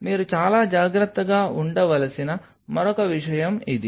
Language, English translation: Telugu, So, this is another thing which you have to be very careful